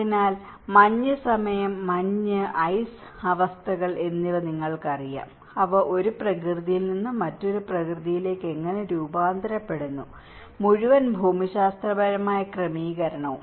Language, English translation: Malayalam, So, you know from the snow time, snow and ice conditions, how they transform from one nature to the another nature and the whole geographical setting